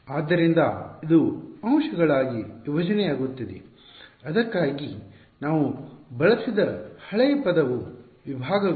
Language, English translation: Kannada, So, this is breaking up into elements, the old word we had used for it was segments ok